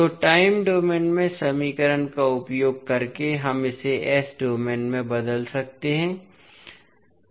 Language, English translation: Hindi, So, using the equation in time domain we will transform this into s domain